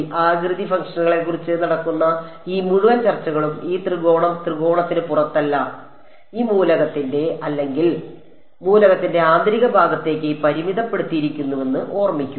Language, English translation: Malayalam, Remember everything all this entire discussion that is happening about the shape functions are limited to the interior of this or the element, this triangle not outside the triangle